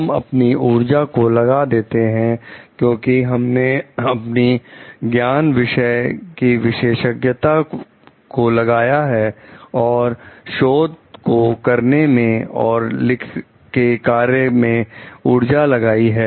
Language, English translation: Hindi, Because, we have invested our energy because, we have invested our knowledge and expertise on the subject and the in creation of the research and artistic work